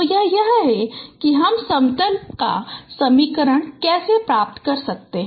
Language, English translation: Hindi, So, this is how you can get the equation of a plane